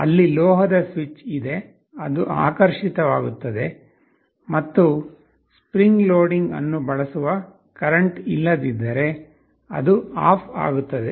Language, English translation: Kannada, There is a metal switch, which gets attracted and if there is no current using spring loading it turns off